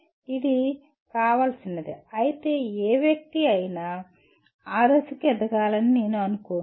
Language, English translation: Telugu, While it is desirable, I do not think any of the persons will grow to that stage